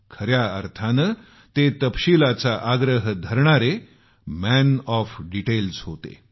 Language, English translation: Marathi, He was a 'Man of Detail' in the true sense of the term